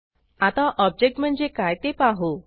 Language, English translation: Marathi, Next, let us look at what an object is